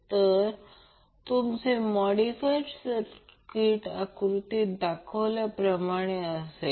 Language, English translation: Marathi, So, your modified circuit will now be as shown in the figure